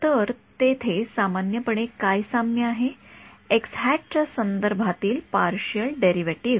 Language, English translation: Marathi, So, what is common over there the partial derivative with respect to